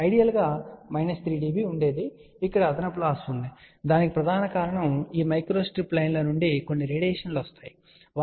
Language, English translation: Telugu, Ideal would have been minus 3 dB there is a additional loss the main reason is that there are some radiations from these microstrip lines, ok